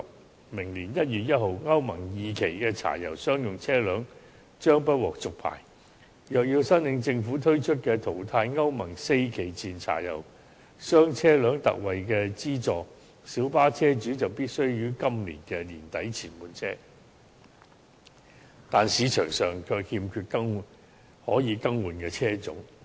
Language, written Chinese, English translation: Cantonese, 在明年1月1日，歐盟 II 期的柴油商用車輛將不獲續牌，若要在政府推出的"淘汰歐盟四期以前柴油商業車輛特惠資助計劃"下申請資助，小巴車主必須於今年年底前換車，但市場上卻欠缺可以更換的車種。, From 1 January next year onwards the licenses of Euro II diesel commercial vehicles will no longer be renewed . If vehicle owners wish to apply for ex - gratia grants under the Ex - gratia Payment Scheme for Phasing Out Pre - Euro IV Diesel Commercial Vehicles they have to replace their vehicles before the end of this year . However there is a shortage of models as substitutes in the market